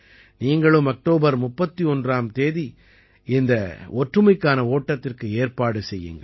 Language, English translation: Tamil, You too should organize the Run for Unity Programs on the 31st of October